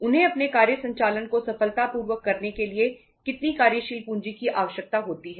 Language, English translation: Hindi, How much working capital they require say uh to carry on their operations successfully